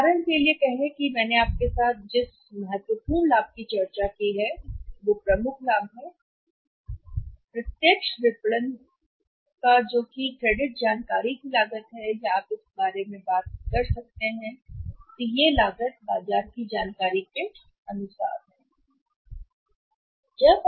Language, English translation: Hindi, Say for example the important benefit which I have discussed with you is that the major benefit of the direct marketing is that is the cost of the credit information or you can we talk so it about that is the cost of the say the market information